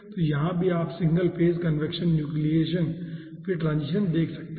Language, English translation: Hindi, okay, so here also you can see the single phase conviction, the nucleation, then transition, finally ah